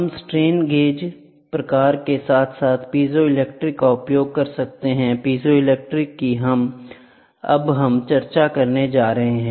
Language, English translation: Hindi, We can use strain gauge type as well as piezo electric; piezo electric is what we are going to discuss now